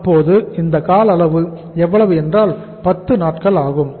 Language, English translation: Tamil, So this is you call it as how much duration this is 10 days